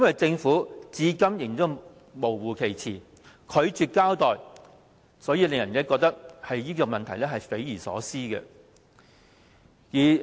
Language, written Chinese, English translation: Cantonese, 政府至今仍然含糊其辭、拒絕交代，令人覺得這件事件匪夷所思。, Until now the Government still makes ambiguous remarks and refuses to explain the whole incident is thus incomprehensible